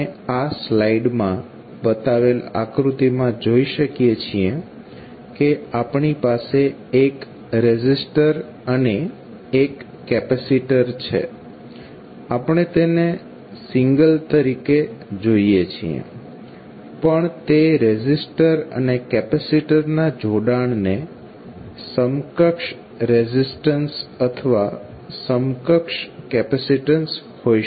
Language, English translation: Gujarati, So now, we will see that the figure which is shown in this slide the resistor and capacitor we have, we are seeing here as a single one, but it can be equivalent resistance or equivalent capacitance of the combination of resistors and capacitor